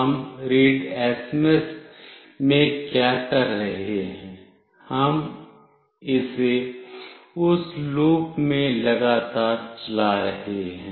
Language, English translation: Hindi, What we are doing in readsms, we are continuously running this in that loop